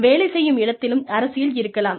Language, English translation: Tamil, Maybe, there is politics at work